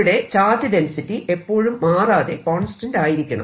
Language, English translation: Malayalam, provided the charge density remains fixed, it doesn't change